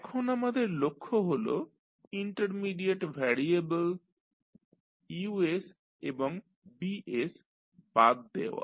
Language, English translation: Bengali, Now, the objective is that we need to eliminate the intermediate variables that is U and B